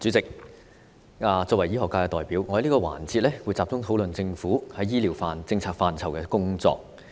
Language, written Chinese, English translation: Cantonese, 主席，作為醫學界代表，我在這個環節會集中討論政府在醫療政策範疇的工作。, President as a representative of the medical sector I will focus on the Governments work in the policy area of health care services in this session